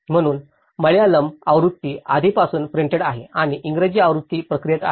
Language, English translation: Marathi, So, the Malayalam version is already printed and the English version is on the process